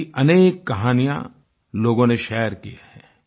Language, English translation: Hindi, Many such stories have been shared by people